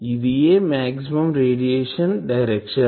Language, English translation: Telugu, This is the maximum radiation direction